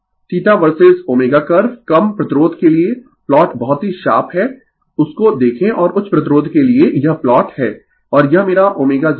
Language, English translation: Hindi, Theta versus omega curve for small resistance the plot is very sharp look at that and for high resistance this is the plot and this is my omega 0